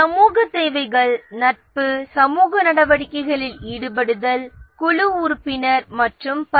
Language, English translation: Tamil, The social needs are friendship, engaging in social activities, group membership and so on